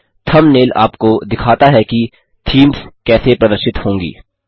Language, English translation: Hindi, The thumbnails show you how the themes would appear